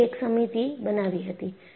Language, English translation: Gujarati, So, they formulated a committee